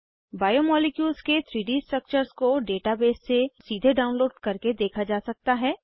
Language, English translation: Hindi, 3D structures of biomolecules can be viewed, by direct download from database